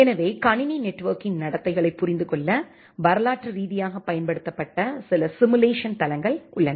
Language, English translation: Tamil, So, there are multiple simulation platform which has been used historically to understand the behavior of a computer network